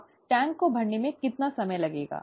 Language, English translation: Hindi, Now, how long would it take to fill the tank, right